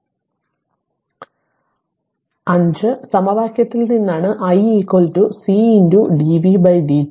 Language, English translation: Malayalam, It is look we know from equation 5 that i is equal to C into dv by dt C is given 0